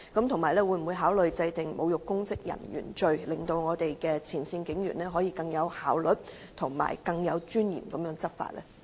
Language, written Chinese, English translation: Cantonese, 此外，會否考慮制定"侮辱公職人員罪"，令我們的前線警員可以更有效率和更有尊嚴地執法？, Will the authorities also consider introducing the offence of insulting public officers to enable our frontline police officers to carry out their law enforcement duties more effectively and in a more dignified manner?